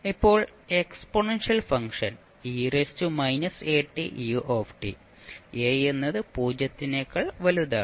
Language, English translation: Malayalam, So, a is constant and a is greater than 0